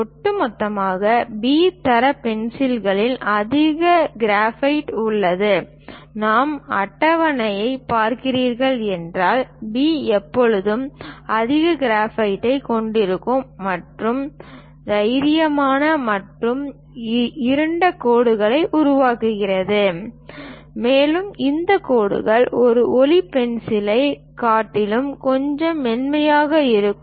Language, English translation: Tamil, Over all B grade pencils contains more graphite; if we are looking at the table, B always contains more graphite and make a bolder and darker lines, and these lines are little smudgier than light pencil